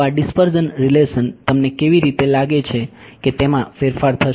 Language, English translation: Gujarati, So, these dispersion relation how do you think it will get modified